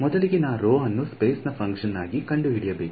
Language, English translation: Kannada, So, first of all I need to find rho as a function of space